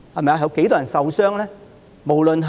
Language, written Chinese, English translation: Cantonese, 有多少人會受傷呢？, How many people could have been hurt?